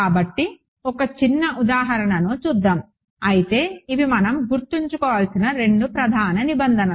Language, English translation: Telugu, So, let us just a small example, but these are the two main requirements we have to keep in mind